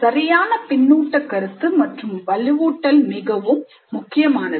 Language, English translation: Tamil, And corrective feedback and reinforcement are again very essential